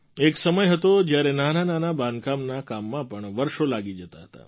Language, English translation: Gujarati, There was a time when it would take years to complete even a minor construction